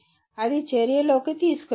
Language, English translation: Telugu, That can be brought into action